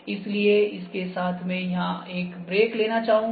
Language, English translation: Hindi, So, with this I will just like to take a break here